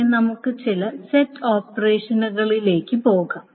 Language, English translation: Malayalam, Then let us go to some of the set operations